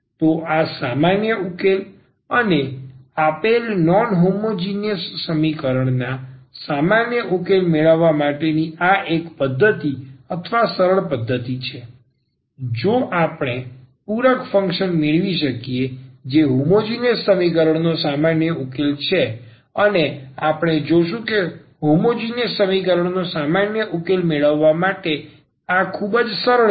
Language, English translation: Gujarati, So, this general solution and this is one method or the easy method to get the general solution of the of the given non homogeneous equation, that if we can get this complimentary function which is the general solution of the homogenous equation and we will see that this is very easy to get the general solution of the homogenous equation